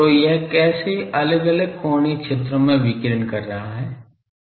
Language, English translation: Hindi, So, how it is radiating in different angular sectors it is radiating